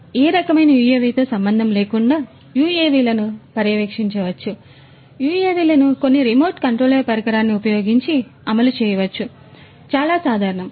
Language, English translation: Telugu, So, irrespective of what type of UAV it is, UAVs could be monitored or could be run UAVs could be run using some remote control device, which is quite common